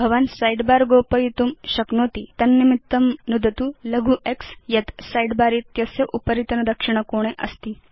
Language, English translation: Sanskrit, You can make the Sidebar disappear by clicking the small x on the top right hand corner of the side bar